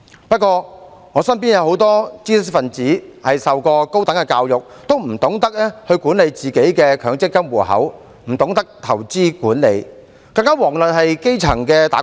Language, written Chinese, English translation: Cantonese, 不過，我身邊有很多知識分子，他們受過高等教育，但也不懂得管理自己的強積金戶口、不懂得投資管理，更遑論是基層的"打工仔"。, I know many intellectuals who have received higher education but they know nothing about how to manage their own MPF accounts or investment management not to mention those grass - roots employees